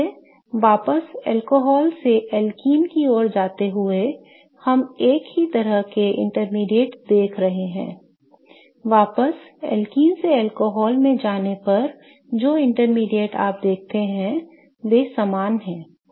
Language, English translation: Hindi, So, going backwards from an alcohol to alkyne we are seeing the same kind of intermediates going from alken to alcohol the intermediates that you see they are the same while going backwards right